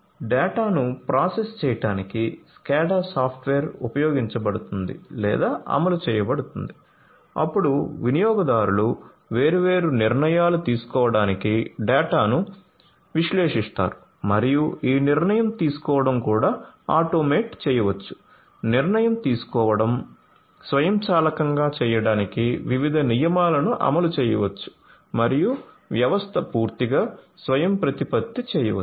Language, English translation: Telugu, So, you know SCADA software are used or deployed in order to process the data, then the users analyze the data to make the different decisions and this decision making can also be automated different rules could be implemented in order to make the decision making automated and the system fully autonomous